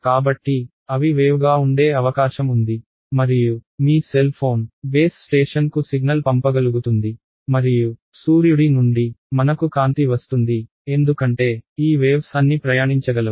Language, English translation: Telugu, So, they are likely they are wave like and that is how you are able to your cell phone is able to send a signal to the base station and we are getting light from the sun, because these are all waves can travel